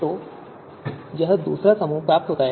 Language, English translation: Hindi, So this second group is obtained